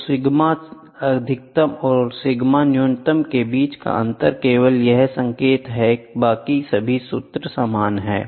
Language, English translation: Hindi, So, the difference between sigma maximum and sigma minimum is this sign alone, rest all the formula is the same